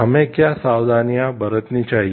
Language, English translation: Hindi, What precautions should we take